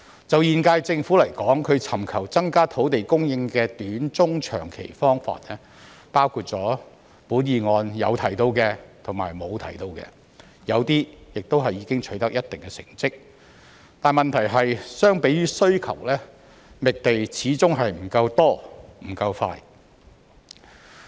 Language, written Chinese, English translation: Cantonese, 就現屆政府來說，它尋求增加土地供應的短、中、長期方法，包括議案有提到和沒有提到的，有些亦已經取得一定成績，問題是相比於需求，覓地始終不夠多、不夠快。, As far as the current - term Government is concerned it has been seeking short - medium - and long - term ways to increase land supply including those mentioned or not mentioned in the motion and some of them have achieved certain results . The problem is that compared with demand the amount of land identified is still inadequate and the process is too slow